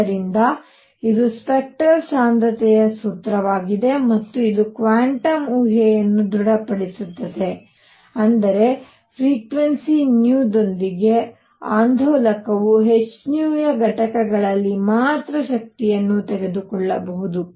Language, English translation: Kannada, So, this is the formula for the spectral density and it confirms quantum hypothesis that is that the oscillator with frequency nu can take energies only in units of h nu